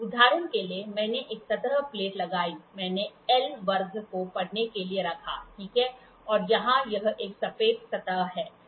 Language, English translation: Hindi, For example, I put a surface plate, I put a L square to read, right and here this is a flat surface